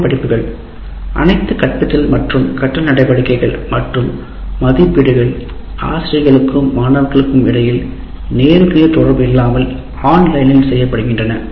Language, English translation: Tamil, All teaching and learning activities and assessment are done online without any face to face interaction between teachers and students